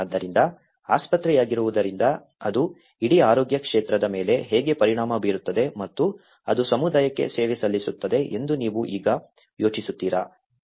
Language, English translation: Kannada, So, being a hospital do you think now how it will affect the whole health sector and which is serving the community